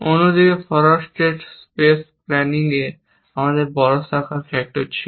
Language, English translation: Bengali, On the other hand, in forward state space planning, we had large branching factor